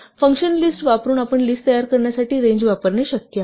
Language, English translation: Marathi, Now, it is possible to use range to generate a list using the function list